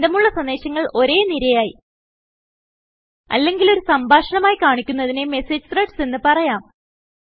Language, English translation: Malayalam, Related messages that are displayed in a sequence or as a conversation are called Message Threads